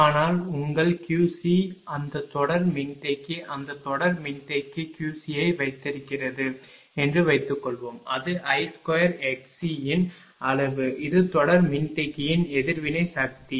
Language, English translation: Tamil, But, suppose suppose your Q c that series capacitor just hold down that series capacitor Q c it is magnitude of I square into x c this is the reactive power from the series capacitor right